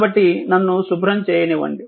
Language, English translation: Telugu, So, just let me clear it